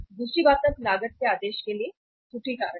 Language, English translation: Hindi, Second thing is now the error factor for ordering cost